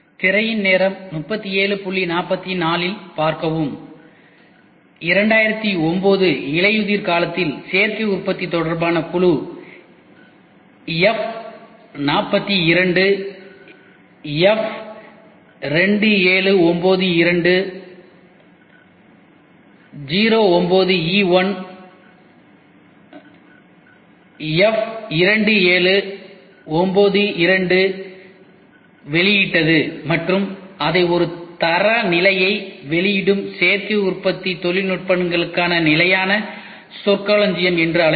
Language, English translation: Tamil, In autumn 2009, the committee F42 on Additive Manufacturing issued F2792 dash 09e1 slash F2792 slash and called it as a Standard Terminology for Additive Manufacturing Technologies they release a standard